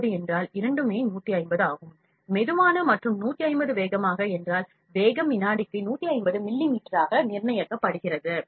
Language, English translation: Tamil, 150 means both 150 slow and 150 fast means the speed is fixed to 150 millimeters per second